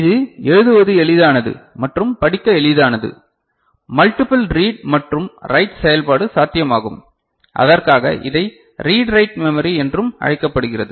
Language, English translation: Tamil, It is easy to write and it easy to read, multiple read and write operation is possible and if that for which it is also called read write memory ok